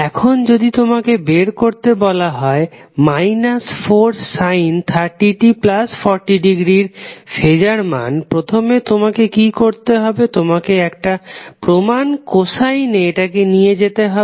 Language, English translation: Bengali, Now if you are asked to find out the phaser value of minus 4 sine 30 t plus 40 degree, first what you have to do, you have to convert it into a standard cosine term